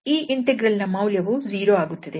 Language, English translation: Kannada, So, the value of this integral is also 0